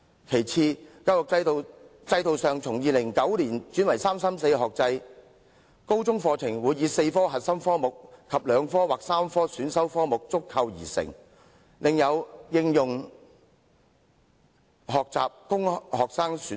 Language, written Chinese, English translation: Cantonese, "其次，教育制度自2009年起轉為'三三四'學制，高中課程包括4科核心科目及2科或3科選修科目，另有應用學習科供學生選讀。, Besides after the education system was switched to the 3 - 3 - 4 academic structure in 2009 the Senior Secondary Curriculum comprises four core subjects and two or three elective subjects with applied learning subjects as elects for students